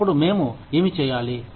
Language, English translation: Telugu, Then, what do we do